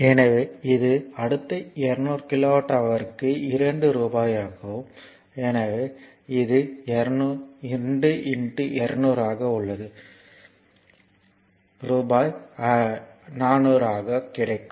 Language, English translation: Tamil, So, it is your next 200 kilowatt hour at rupees 2 so, it is 2 into 200 so, rupees 400